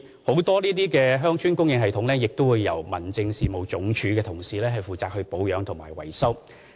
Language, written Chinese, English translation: Cantonese, 這些鄉村供水系統很多也由民政署的同事負責保養和維修。, Most of these village water supply systems are maintained and repaired by HAD